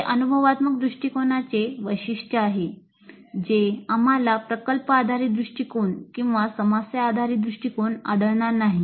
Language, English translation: Marathi, This is a very distinguishing feature of experiential approach which we will not find it in project based approach or problem based approach